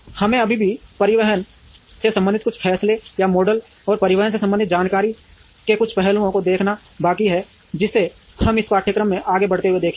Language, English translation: Hindi, We are yet to see some of the transportation decisions or models related to transportation as well as some aspects of information decisions, which we will see as we move along in this course